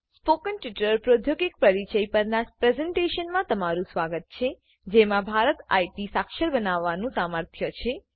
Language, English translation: Gujarati, Welcome to a presentation that introduces the spoken tutorial technology that has the potential to make India IT literate